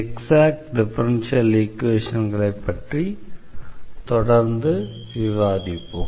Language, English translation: Tamil, So, we will continue discussing Exact Differential Equations